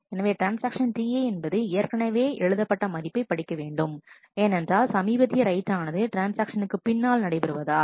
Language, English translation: Tamil, So, the transaction T i needs to read a value that was already overwritten because the latest write has happened after the transaction